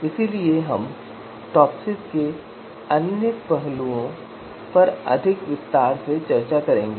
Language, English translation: Hindi, So we will discuss other aspects of TOPSIS in more detail